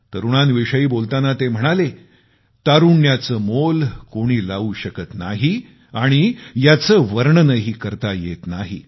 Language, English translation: Marathi, Referring to the youth, he had remarked, "The value of youth can neither be ascertained, nor described